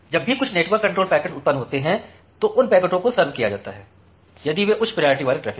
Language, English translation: Hindi, So, that is why whenever certain network control packets are generated immediately those packets are served, if those are the high priority traffic